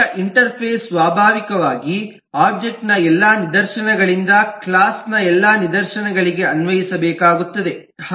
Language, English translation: Kannada, now, interface naturally has to apply to all instances of object, all instances of the class